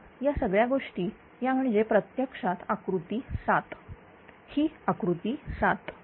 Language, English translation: Marathi, Now, all this thing this is actually figure 7 this is figure 7